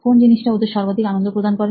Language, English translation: Bengali, What would give them the maximum enjoyment